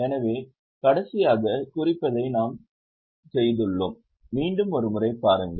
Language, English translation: Tamil, So, we have done marking last time, just have a look once again